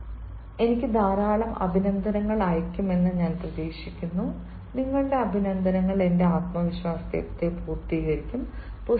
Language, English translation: Malayalam, i expect you are going to send me lots of compliments, compliments, and your compliments are going to compliment my self confidence